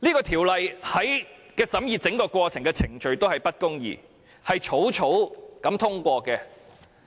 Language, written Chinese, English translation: Cantonese, 《條例草案》的整個審議過程都是不公義的，是草草通過的。, The entire scrutiny process of the Bill involves injustice . It is passed hastily